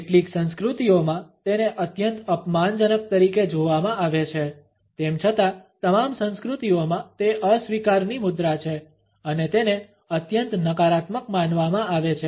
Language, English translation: Gujarati, In some cultures it is seen as an extremely insulting one; in all cultures nonetheless it is a posture of rejection and it is considered to be a highly negative one